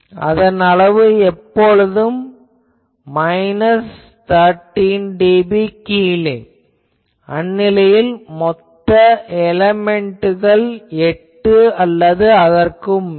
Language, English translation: Tamil, Level is always minus 13 dB down, if we have number of elements something like 8 or more